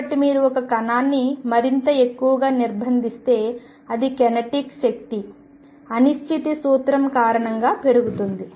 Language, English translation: Telugu, So, if you confine a particle more and more it is kinetic energy tends to increase because of the uncertainty principle